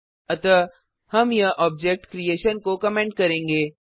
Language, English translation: Hindi, So we will comment this object creation